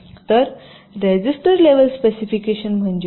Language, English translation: Marathi, so what is register level specification